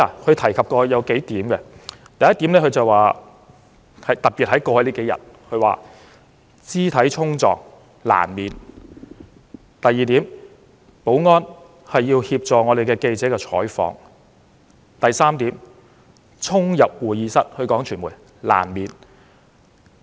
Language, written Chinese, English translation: Cantonese, 他提出了數點，第一點——特別是過去數天——他說肢體衝撞難免；第二點，保安員要協助記者採訪；及第三點，傳媒衝入會議室難免。, He has advanced a few points first according to him physical clashes were inevitable especially during the past few days; second the security staff need to provide assistance to reporters in covering news; and third members of the media dashing into the conference room is something inevitable